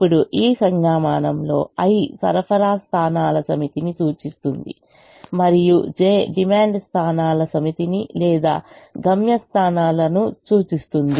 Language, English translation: Telugu, now, in this notation, i represents the set of supply points and j represents the set of demand points or destination points